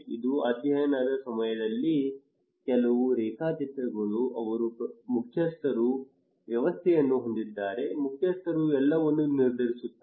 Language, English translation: Kannada, This is some of the photographs during the study they have a chieftainship system, chief decides everything